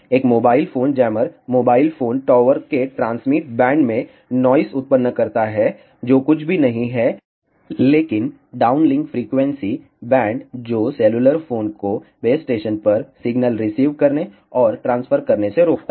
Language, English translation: Hindi, A mobile phone jammer generates noise in the transmit bands of a mobile phone tower which is nothing, but the downlink frequency bands, which prevents cellular phones from receiving and transferring signals to the base station